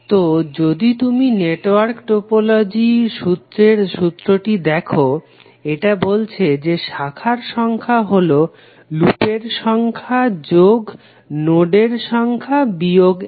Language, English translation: Bengali, So if you see the theorem of network topology it says that the number of branches are equal to number of loops plus number of nodes minus 1